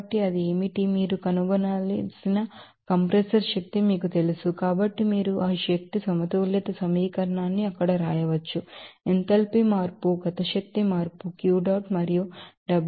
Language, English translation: Telugu, So, what should be that, you know compressor power that you have to find out So, you can write this energy balance equation here enthalpy change kinetic energy change Q dot and W dot will be used